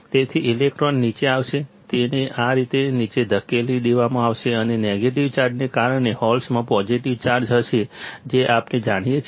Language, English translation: Gujarati, So, electrons will come down, it will be pushed down like this and because of a negative charge is there holes will have positive charge that we know